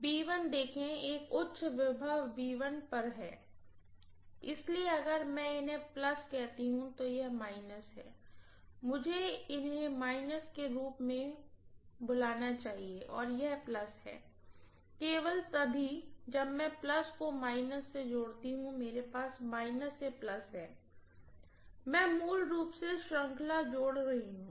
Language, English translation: Hindi, (()) (44:57) See B is at a higher potential that V1, so if I call these as plus, this is minus I should also call these as minus and this is plus, only if I connect plus to minus I going to have minus to plus, I am going to have basically series addition, isn’t it